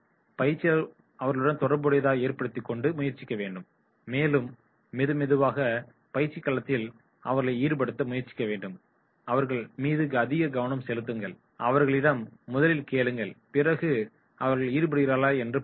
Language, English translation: Tamil, Trainer should attempt to establish communication with them, get them involved slowly and slowly, showing attention to them, asking them and then getting them that is they are getting involved